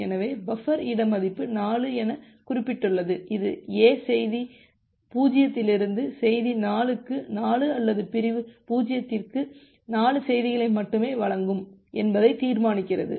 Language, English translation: Tamil, So, the buffer space value is mentioned as 4 that determines that A will only grant 4 messages from message 0 to message 4 or for segment 0 to segment 4